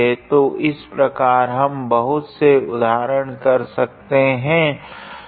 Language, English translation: Hindi, So, like this we can practice many examples